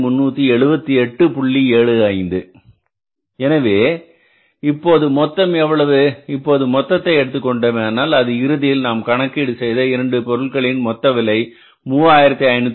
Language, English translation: Tamil, So, this total will become how much if you take the total of this this will work out as ultimately we have done it earlier also this total of these two will be something like, 3518